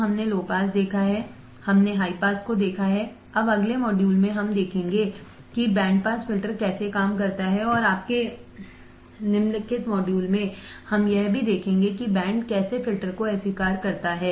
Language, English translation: Hindi, So, we have seen low pass, we have seen high pass now in the next module we will see how the band pass filter works and in your following module we will also see how the band reject filter works